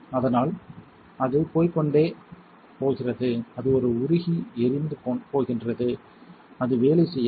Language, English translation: Tamil, So, it is going to keep going and going and going and it is going to burn a fuse and it is not going to work